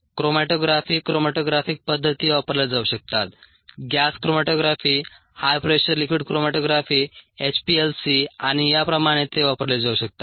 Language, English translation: Marathi, chromatography, matographic methods can be used: gascromatography, high pressure liquid chromatography, HPLC, so on